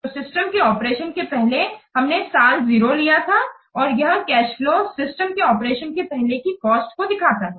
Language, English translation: Hindi, So, before the system is in operation that we take as year zero, year zero, and this cash flow represents the cost before the system is in operation